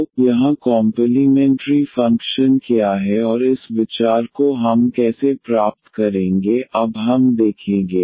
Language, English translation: Hindi, So, here what is the complementary function and how to get this idea we will; we will give now